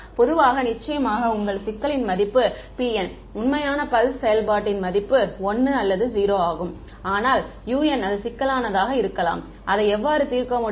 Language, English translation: Tamil, In general, complex valued right your p n is of course, real valued pulse function which is 1 or 0, but u n can be complex and then how did we solve it